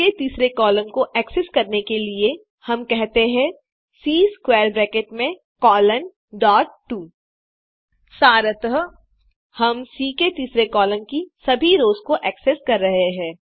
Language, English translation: Hindi, To access, the third column of C, we said, C with square brackets colon dot 2 Essentially, we are accessing all the rows in column three of C